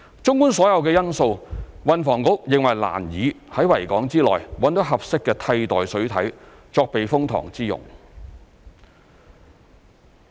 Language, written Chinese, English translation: Cantonese, 綜觀所有因素，運房局認為難以在維多利亞港之內找到合適的替代水體作避風塘之用。, Taking all these factors into account THB finds it difficult to identify a suitable alternative water body in the Victoria Harbour for use as a typhoon shelter